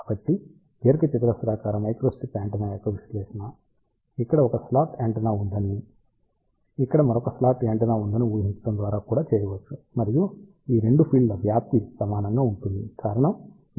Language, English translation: Telugu, So, the analysis of rectangular microstrip antenna can also be done by assuming that there is a 1 slot antenna over here, there is a another slot antenna over here, and the amplitude of these 2 fields are equal the reason is this is plus V this is minus V